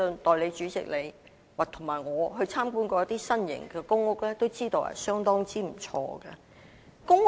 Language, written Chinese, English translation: Cantonese, 代理主席，你和我也曾參觀一些新型的公屋，也知道這些公屋的質素相當不錯。, Deputy President you and I have visited some new PRH units and got to learn that the quality of these PRH units is quite good